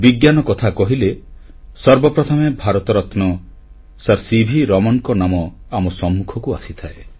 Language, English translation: Odia, When we talk about Science, the first name that strikes us is that of Bharat Ratna Sir C